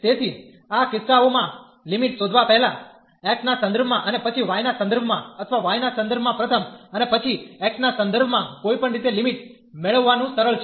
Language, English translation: Gujarati, So, in these cases finding the limits whether first with respect to x and then with respect to y or with respect to y first, and then with respect to x, in either way it is simple to get the limits